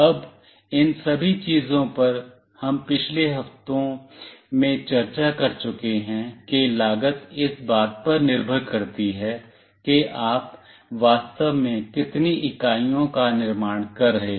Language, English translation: Hindi, Now, all these things we have already discussed in the previous weeks that cost depends on how many number of units you are actually manufacturing